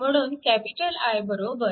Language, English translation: Marathi, So, it is i 1